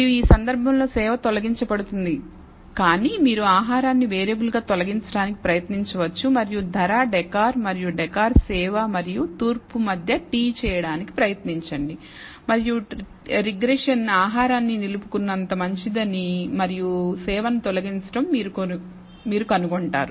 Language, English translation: Telugu, And in this case service is being removed, but you can try removing food as the variable and try to t between price, decor and decor service and east and you will find that the regression is as good as retaining food and eliminating service